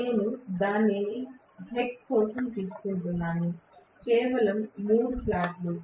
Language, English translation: Telugu, I am just taking for heck of it, just three slots